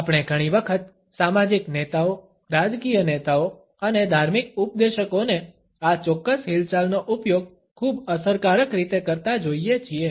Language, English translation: Gujarati, We often find social leaders, political leaders and religious preachers using this particular movement in a very effective manner